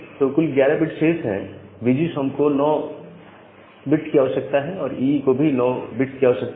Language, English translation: Hindi, So, total 11 bits are remaining, and VGSOM requires 9 bits, and double E requires 9 bits